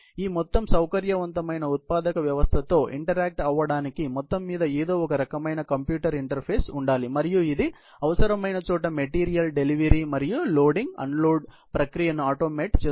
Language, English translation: Telugu, There has to be some kind of an overall computer interface, which can interact with this whole flexible manufacturing system, and it can automate the process of material delivery and loading, unloading, wherever needed